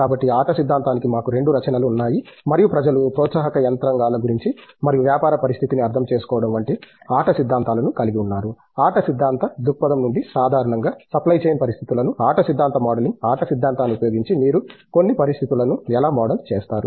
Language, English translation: Telugu, So, we have both contributions to game theory and we have more game theoretic models like people have been taking about incentive mechanisms and understanding business situation, typically supply chain situations from game theory point of view, game theoretic modeling, how do you model certain situations using game theory